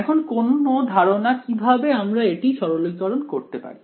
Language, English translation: Bengali, Now any ideas on how to further simplify this